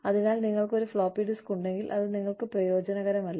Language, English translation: Malayalam, So, if you have a floppy disk, it is of no use to you